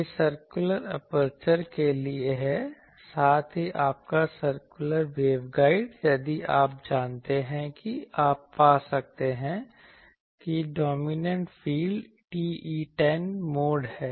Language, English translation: Hindi, This is for circular aperture also your circular waveguide if you know you can find that dominant field is TE10 mode ok